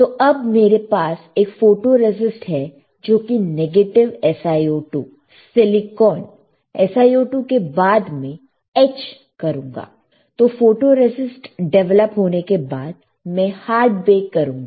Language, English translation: Hindi, So, now, I have photoresist which is negative SiO2; silicon, SiO2 after that I will etch; so, after photoresist is developed I will do the hard bake, I will do the hard baking 120 degree centigrade per minute